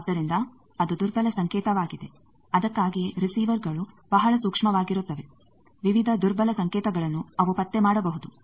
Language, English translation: Kannada, So, that is a weak signal that is why receivers are very sensitive, various weak signal they can detect